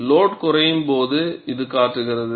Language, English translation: Tamil, So, this happens during loading